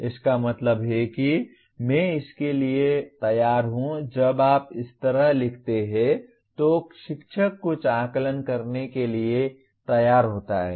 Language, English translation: Hindi, That means I am willing to that is when you write like this, the teacher is willing to have some assessments